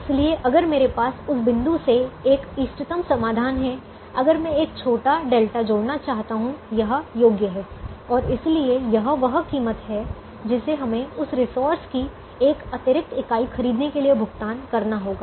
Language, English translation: Hindi, so if, if i have an optimum solution, from that point onwards, if i want to add a small delta, this is the worth and therefore this is the price that we have to pay to procure or buy an extra unit of that resource